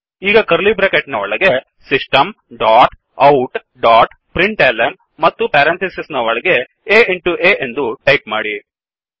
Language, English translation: Kannada, Now within curly brackets type, System dot out dot println within parentheses a into a